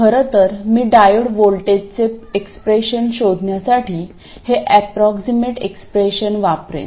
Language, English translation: Marathi, In fact, I will use this approximate expression to find the expression for the diode voltage